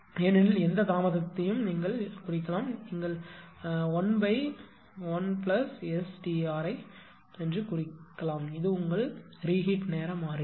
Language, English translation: Tamil, So, this is actually you can represent any delay, you can represent 1 upon 1 plus ST r, that is your reheat time constant